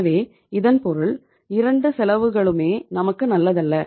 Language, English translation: Tamil, So it means either of the cost is not good for us